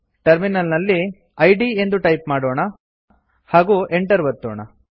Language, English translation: Kannada, At the terminal, let us type id and press Enter